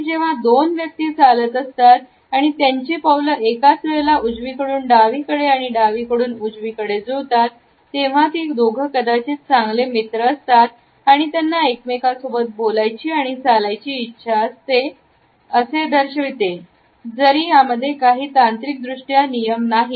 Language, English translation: Marathi, And finally, when two people are walking together and their steps are matched going right left, right left at the same time; they want to talk to each other and they are probably friends although that is not technically a rule, but they want to talk to each other